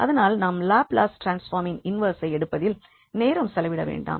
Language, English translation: Tamil, So, we will not spend time on taking this inverse Laplace transform